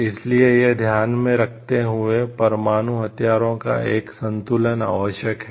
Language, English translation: Hindi, So, taking this into consideration, a balance of nuclear weapon is very much essential